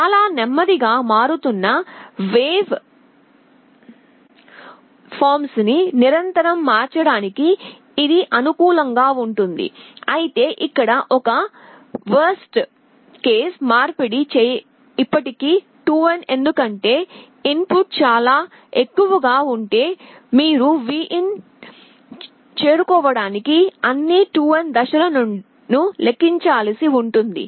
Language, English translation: Telugu, This is suitable for continuous conversion of very slowly varying waveform, but the worst case conversion is still 2n because if the input is very high you will have to count through all 2n steps to reach Vin